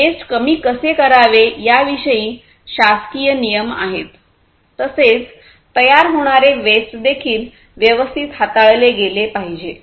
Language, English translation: Marathi, So, there are government regulations, which talk about how to reduce these wastes and also the wastes that are produced will have to be handled properly